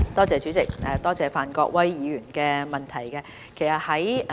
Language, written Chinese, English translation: Cantonese, 主席，多謝范國威議員的補充質詢。, President I thank Mr Gary FAN for his supplementary question